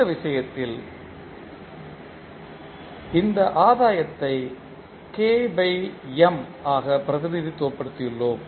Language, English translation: Tamil, So like in this case we have represented this gain as K by M